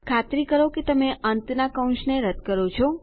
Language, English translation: Gujarati, Make sure you remove the end brackets